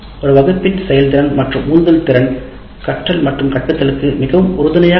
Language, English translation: Tamil, So the ability and motivation profile of a class will have great influence on teaching and learning